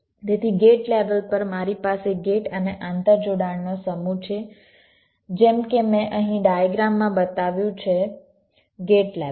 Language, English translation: Gujarati, so at the gate level i have a set of gates and the interconnection as i have shown in the diagrams here